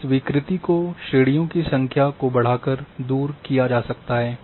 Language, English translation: Hindi, One can overcome this distortion by increasing the number of classes